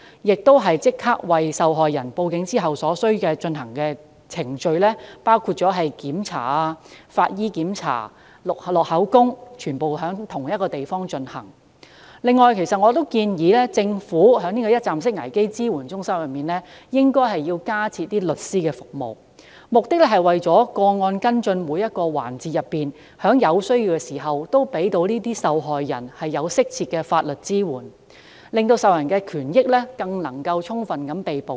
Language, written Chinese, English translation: Cantonese, 換言之，受害人向警方報案後所需進行的程序，包括醫療檢查、法醫檢查、錄取口供等，均應在同一地方進行。此外，我建議政府在一站式危機支援中心加設律師服務，目的是在跟進個案的每一環節中，均可在有需要時向受害人提供適切的法律支援，令受害人的權益更能充分獲得保障。, In other words after a report has been made to the Police victims should be allowed to complete all the necessary procedures including medical treatment forensic examinations and statement taking in the same place Besides I suggest that the Government should also consider providing lawyer service in these one - stop support centres so that in every process of following up such cases victims can always be provided with appropriate legal support when necessary to ensure fuller protection of their rights and interests